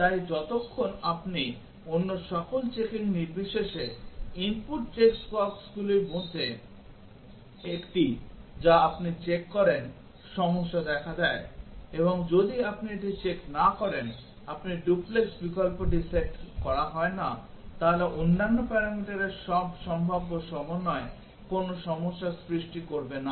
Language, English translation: Bengali, So, as long as you, one of the input check boxes you check that irrespective of the checking of all other, the problem occurs, and if you are not checked it you are not set this value duplex option then all possible combinations of other parameters will not cause any problem